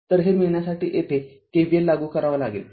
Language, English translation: Marathi, So, to get this what you do apply here K V L